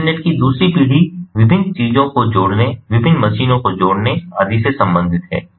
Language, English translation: Hindi, second generation of the internet is about connecting different things, connecting different machines and so on